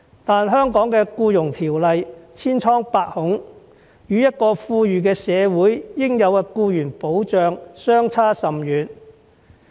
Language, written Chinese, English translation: Cantonese, 但是，香港的《僱傭條例》千瘡百孔，與一個富裕社會應有的僱員保障相差甚遠。, However the Employment Ordinance in Hong Kong is riddled with problems . It falls far short of the protection that an affluent society should provide to its employees